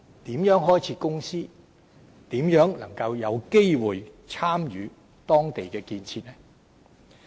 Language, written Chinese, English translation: Cantonese, 如何開設公司，如何能夠有機會參與當地的建設？, How to open a company there? . How can he have the opportunity to participate in the construction projects there?